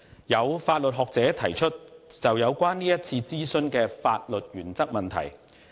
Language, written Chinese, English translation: Cantonese, 有法律學者提出有關是次諮詢的法律原則問題。, Some legal academics have raised questions about the legal principles concerning this consultation